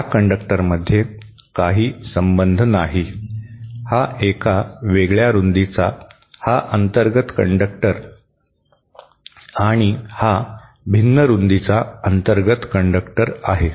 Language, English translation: Marathi, There is no connection between this conductor, this inner conductor of a different width with this inner conductor of a different width